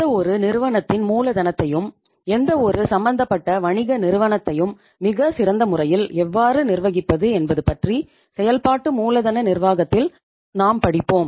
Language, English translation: Tamil, In the working capital management we will be studying about that how to manage the working capital of any organization, any business undertaking in the best possible manner